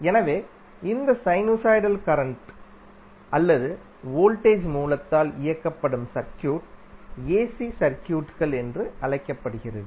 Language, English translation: Tamil, So, the circuit driven by these sinusoidal current or the voltage source are called AC circuits